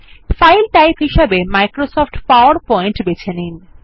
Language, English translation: Bengali, In the file type, choose Microsoft PowerPoint